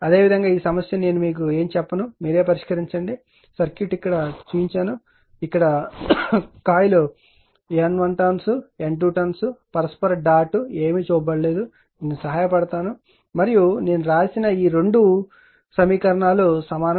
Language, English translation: Telugu, Similarly this one I will not tell you anything this I leave it to you a circuit is shown right that you are that is coil here you have N number of turns a N 1 number of turns, N 2 number of turns mutual dot nothing is shown something you put, I am aided something and all this equal two equations I have written right